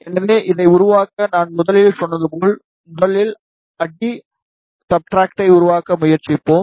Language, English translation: Tamil, So, just to make this I as I said firstly, we will try to make the substrate first